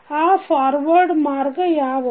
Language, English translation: Kannada, What are those forward Path